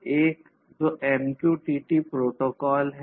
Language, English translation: Hindi, So, this is how this MQTT protocol works